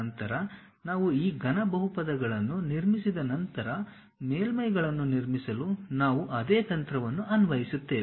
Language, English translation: Kannada, Once we construct these cubic polynomials, then we will interpolate apply the same technique to construct the surfaces